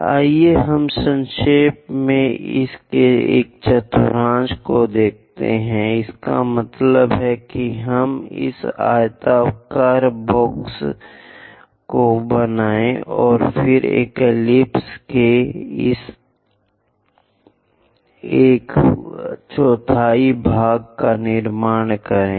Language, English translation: Hindi, Let us briefly look at one quadrant of this, that means we will draw this rectangular box then construct this one fourth quadrant of an ellipse